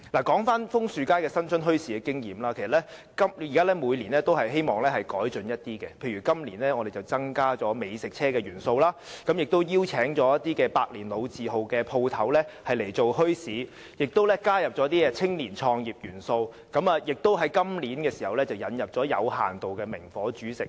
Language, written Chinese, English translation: Cantonese, 說回楓樹街新春墟市的經驗，其實我們也希望每年會有一些改進，例如今年便增加了美食車元素，也邀請一些百年老字號的店鋪加入墟市，以及加入青年創業元素，並在今年引入有限度的明火煮食。, Speaking of my experience in the Lunar New Year Bazaar at Maple Street we really hope that some improvements can be made each year . For example this year we will introduce the element of food trucks; invite some shops with a century - long history to participate in the Bazaar; bring in start - ups by young people as well as introduce the use of naked flame to a limited extent